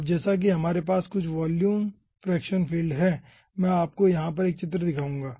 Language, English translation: Hindi, ah, as we are having some ah volume fraction field, i will be showing you 1 figure over here: ah, ah, okay